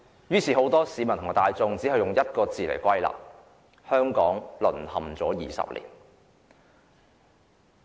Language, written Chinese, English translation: Cantonese, 於是，很多市民用一句話作總結："香港人淪陷了20年"。, Therefore many people summarized the situation by the expression that Hong Kong has fallen for 20 years